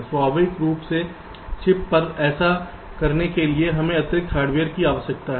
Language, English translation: Hindi, naturally, to do this on chip we need additional hardware